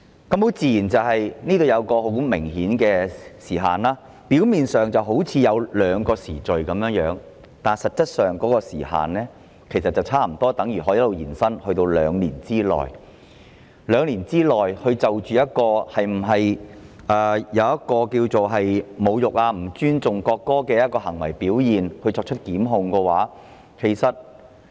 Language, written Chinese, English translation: Cantonese, "當中有一個很明顯的時限，表面上，好像有兩個限期，但實際上，有關時限差不多等於可以延伸至2年，即可以在2年內就一項可能構成侮辱及不尊重國歌的行為表現而作出檢控。, A time bar is obviously in place . On the surface there seems to be two time limits but in fact it is almost the same as extending the relevant time bar to two years . That is prosecution can be instituted within two years in respect of behaviour which may constitute an insult to and disrespect for the national anthem